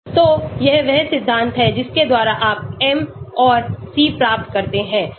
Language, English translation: Hindi, So this is the principle by which you get the m and c